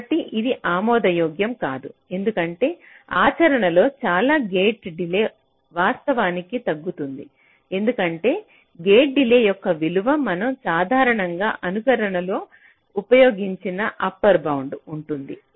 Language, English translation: Telugu, ok, so this is not acceptable because in practice many gate delays can actually get reduced because the gate delays value that we usually use in simulation they are upper bound